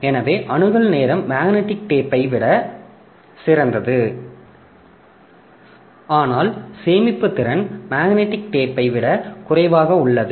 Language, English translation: Tamil, So, their access time is better than magnetic tape but storage capacity is also less than the magnetic tape